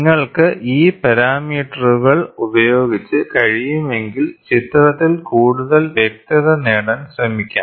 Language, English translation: Malayalam, If you can play with these parameters, then you can try to get more clarity in the image